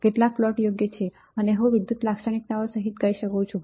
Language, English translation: Gujarati, Several plots right and I can say including electrical characteristics right